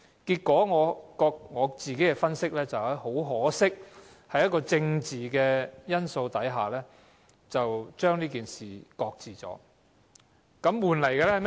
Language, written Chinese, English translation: Cantonese, 根據我自己的分析，很可惜，在政治因素下，這件事被擱置。, In my analysis this scheme was shelved due to political factors very much to our regret